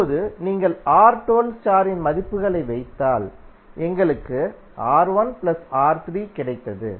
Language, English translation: Tamil, Now, if you put the values of R1 2 star, we got R1 plus R3